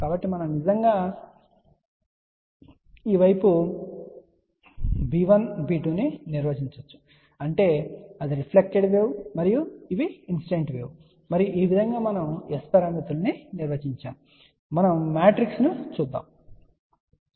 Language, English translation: Telugu, So, we can actually define b 1, b 2 on this side that means, there are the reflected wave these are the incident wave and this is how we define S parameters, ok